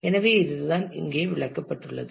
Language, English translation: Tamil, So, this is what is explained here